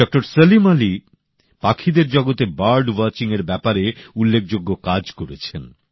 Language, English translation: Bengali, Salim has done illustrious work in the field of bird watching the avian world